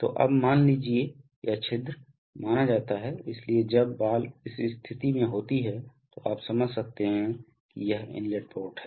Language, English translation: Hindi, So now, suppose, so this is the hole suppose, so when the ball is in this position then you can understand that this is the inlet port